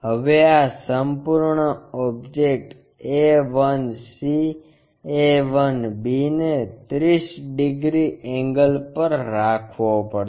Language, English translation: Gujarati, Now this entire object this entire object a 1 c, a 1 b has to be made into 30 degrees angle